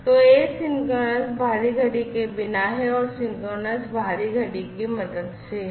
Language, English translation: Hindi, So, asynchronous is without external clock and synchronous is with the help of the synchronization is done, with the help of the external clock